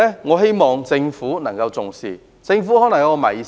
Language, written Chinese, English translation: Cantonese, 我希望政府重視這個問題。, I hope that the Government will take this issue seriously